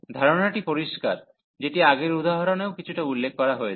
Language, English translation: Bengali, The idea is clear which was also mentioned in previous example a bit